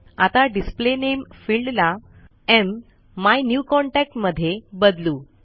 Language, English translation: Marathi, Now, lets change the Field Display Name to MMyNewContact